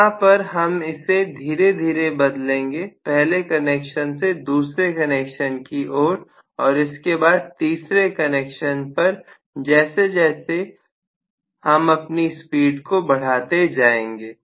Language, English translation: Hindi, Here, we will have it slowly changed over from the first connection to the second connection to the third connection as we go along increasing speed direction